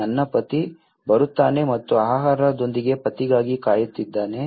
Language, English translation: Kannada, my husband is coming and wait for the husband with food